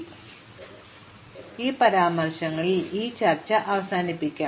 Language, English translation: Malayalam, So, let us conclude this discussion in some historical remarks